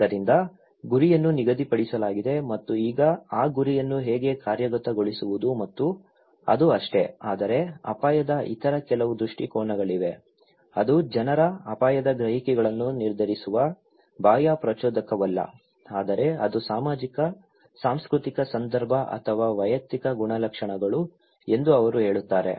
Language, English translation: Kannada, So, target is set and now how to implement that target and thatís it but there are some other perspective of risk, they are saying that it is not that external stimulus that determines people's risk perceptions but it is the socio cultural context or individual characteristics that define the way people perceive risk